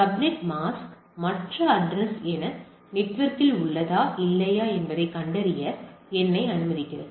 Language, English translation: Tamil, The subnet mask allows me to when I, allows me to find out that whether the other address is within the in my network or not